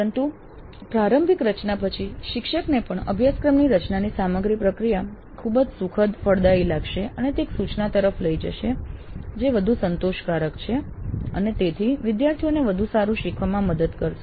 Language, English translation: Gujarati, But after the initial design, the teacher would even find the entire process of course is very pleasant, fruitful and it would lead to an instruction which is more satisfactory and it would lead to better student learning